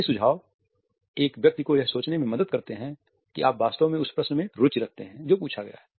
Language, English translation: Hindi, These suggestions help a person to think that you are genuinely interested in the question which has been asked